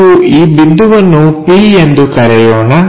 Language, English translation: Kannada, So, let us call this point p